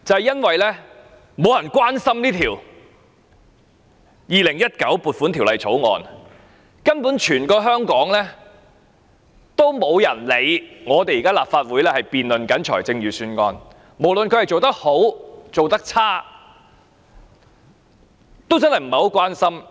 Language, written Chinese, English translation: Cantonese, 因為沒有人關心這項《2019年撥款條例草案》，根本全香港也沒有人理會立法會正辯論財政預算案，無論他做得好或做得差，也不大關心。, It is because no one cares about this Appropriation Bill 2019 . Basically not a single person in Hong Kong is concerned that the Legislative Council is now debating the Budget . No matter he is doing a good or a bad job people do not pay much attention